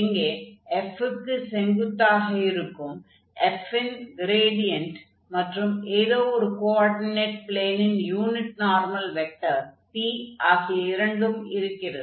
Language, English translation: Tamil, So, note that if we have this gradient of f which is perpendicular to f and then this p unit normal vector to one of the coordinate planes